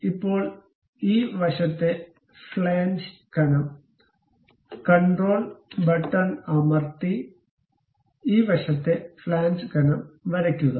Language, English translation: Malayalam, Now, this side flange thickness, control and this side flange thickness